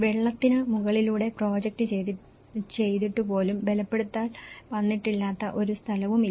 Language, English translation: Malayalam, So, even projected over the water so there is hardly is no plot of land where no reinforcement has come